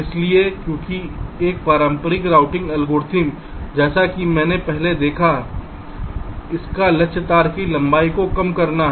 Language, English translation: Hindi, ok, so because, ah, traditional routing algorithm, as we have seen earlier, it aims to minimize wire length